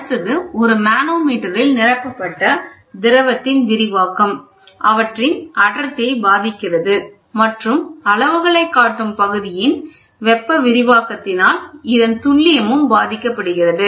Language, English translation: Tamil, The next one is the expansion of fluid filled in a manometer affects their density and, in turn, also the thermal expansion of the read out scale, affecting the precision of the measurement